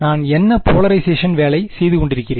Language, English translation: Tamil, What polarization am I working with